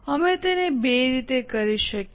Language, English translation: Gujarati, We could do it in two ways